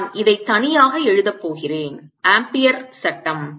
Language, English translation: Tamil, let us do the same calculation using amperes law